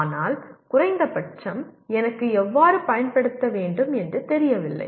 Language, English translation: Tamil, But at least I do not know how to apply